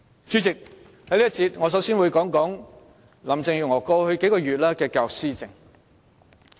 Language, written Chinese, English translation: Cantonese, 主席，在這一節，我首先會談談林鄭月娥過去數月來在教育方面的施政。, In this session President I will start with Carrie LAMs policy administration in respect of education over the past few months